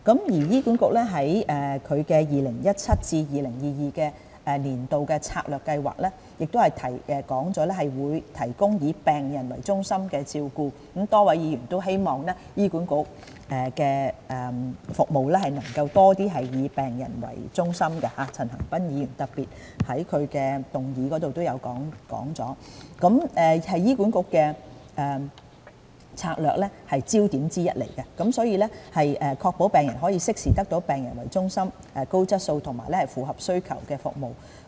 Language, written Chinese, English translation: Cantonese, 醫管局在《2017至2022年策略計劃》中提到"提供以病人為中心的照顧"——多位議員皆希望醫管局的服務能夠多以病人為中心，陳恒鑌議員更特別在其議案提及這點——這是醫管局的策略焦點之一，目的是確保病人可適時得到以病人作為中心、高質素和符合需求的服務。, HA has indicated in its Strategic Plan 2017 - 2022 that it would strive to provide patient - centred care . It is also the hope of a number of Members that services delivered by HA can be more patient - centred and Mr CHAN Han - pan has even included this point as one of the proposals in his motion . This is one of the strategic foci of HA with the aim of ensuring patients have timely access to high quality and responsive services which place patients firmly at the heart of their care